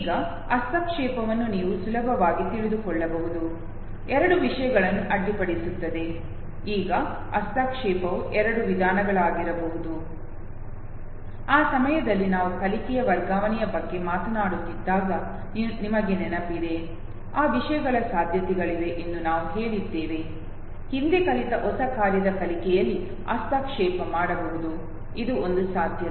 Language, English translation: Kannada, Now interference you can be easily make out know, two things which interferes which overlaps okay, now interference could be of two types, you remember when we were talking about transfer of learning at that time also we said that there is possibility that things which are learned previously might interfere with learning of the new task, this was one possibility